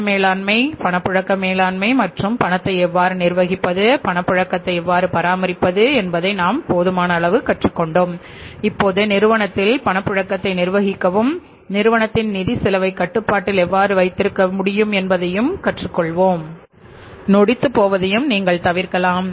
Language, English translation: Tamil, So with this we completed the discussion on say the cash management, the liquidity management and we have learned sufficiently that how to manage the cash, how to maintain the liquidity, how to manage the liquidity in the firm and how say the firm's financial cost can also be kept under control and the technical insolvency can also be avoided